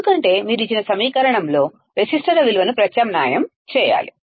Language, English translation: Telugu, Because you have to just substitute the value of the resistors in the given equation